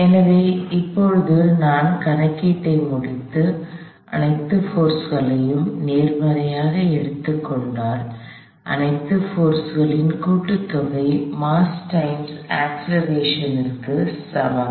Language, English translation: Tamil, So, now, if I go through and complete the calculation, taking all forces to my right positive, sum of all forces equals mass times acceleration